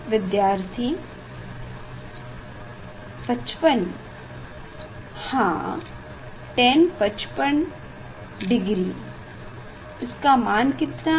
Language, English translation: Hindi, Tan 55 degree, what is the tan value